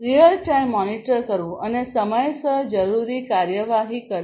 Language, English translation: Gujarati, Real time monitoring and taking required action on time